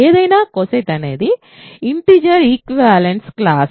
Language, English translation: Telugu, Any co set is a equivalence class of integers